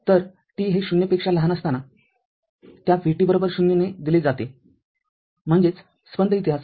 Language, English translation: Marathi, So, it is given that vt is equal to 0 for t less than 0; that means, pulse history right